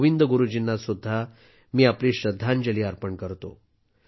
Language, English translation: Marathi, I also pay my tribute to Govind Guru Ji